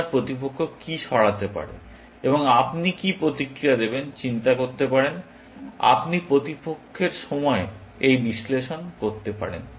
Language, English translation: Bengali, You can also think of what opponent might move, and what you would respond; you could do this analysis in opponent’s time